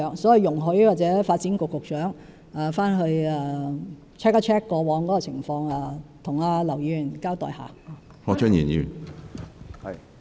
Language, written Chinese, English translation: Cantonese, 所以，請容許發展局局長回去查核一下過往的紀錄，再向劉議員交代。, Hence please allow the Secretary for Development to check the past records back in his office before giving an account to Mr LAU